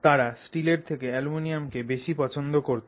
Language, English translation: Bengali, They preferred aluminum to steel